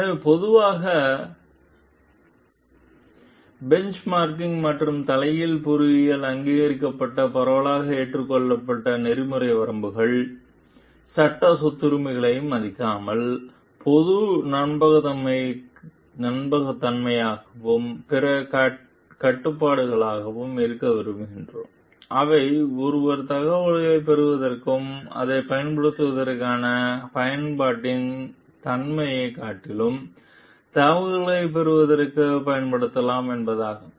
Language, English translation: Tamil, So, widely accepted ethical limits that are generally recognized in benchmarking and reverse engineering so, our rather than respecting legal property rights are commonly liked to be trustworthy and other constraints and the like, they means for one can use to obtain information and rather than on the nature of the information on the use that one makes of it